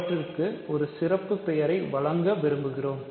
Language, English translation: Tamil, So, we want to give a special name to them